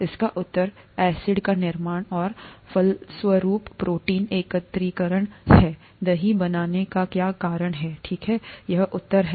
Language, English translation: Hindi, The answer is acid formation and consequent protein aggregation, is what causes curd formation, okay, this is the answer